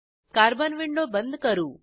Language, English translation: Marathi, I will close the Carbon window